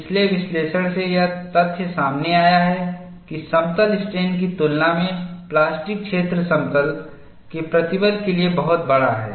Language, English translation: Hindi, The previous analysis has brought out the fact that, the plastic zone is much larger for plane stress than plane strain